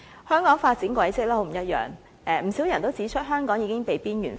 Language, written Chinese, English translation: Cantonese, 香港發展軌跡很不一樣，不少人指出香港已經被邊緣化。, But Hong Kong has walked an opposite path . Quite a lot of comments say the city has been marginalized